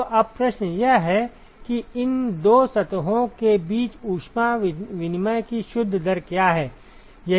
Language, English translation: Hindi, So, now, the question is, what is the net rate of heat exchange between these two surfaces